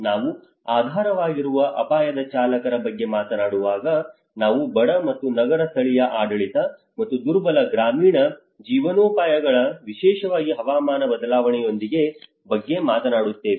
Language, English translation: Kannada, When we talk about underlying risk drivers, we talk about the poor and urban local governance and the vulnerable rural livelihoods because especially with the climate change